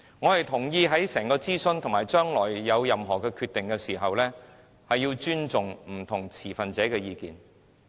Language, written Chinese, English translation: Cantonese, 我同意在整個諮詢過程中，以及將來作任何決定前，須尊重不同份持者的意見。, I agree that the views of all stakeholders must be respected throughout the entire consultation process and before any decision is made in future